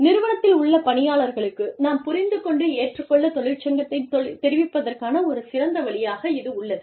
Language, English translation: Tamil, And, this is a very nice way of, you know, informing the employees, in the organization, that we understand and accept, that a union is in place